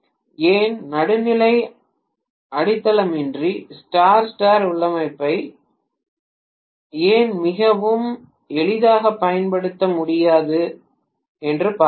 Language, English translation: Tamil, Let us see why, why Star Star configuration without neutral grounding cannot be used very easy